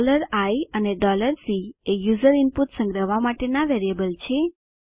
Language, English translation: Gujarati, $i is a variable to store user input